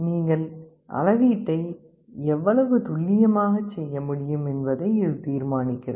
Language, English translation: Tamil, This determines to what level of accuracy you can make the measurement